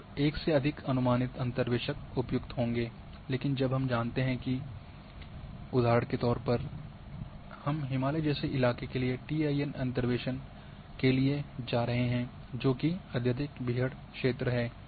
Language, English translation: Hindi, Then the approximate interpolators would be more appropriate than exact one, but when we know now say example I am going to do the interpolation for a terrain like Himalayan TIN which is highly rugged